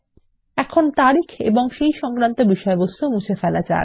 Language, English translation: Bengali, Now, let us delete the heading Date and its contents